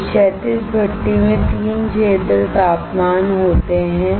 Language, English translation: Hindi, In this horizontal furnace, there are 3 zone temperature